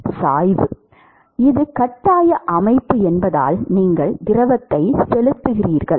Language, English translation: Tamil, Pressure gradient, because it is the forced system, you are pumping fluid